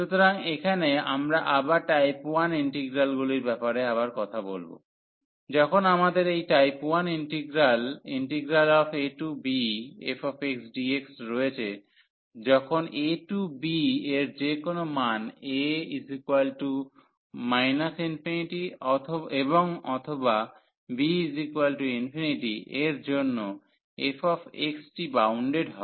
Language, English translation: Bengali, So, here we have we will be talking about type 1 integrals again to recall, we have this type 1 integral when our f x is bounded for any value of in this range a to b, and one of the is a and a and b are infinity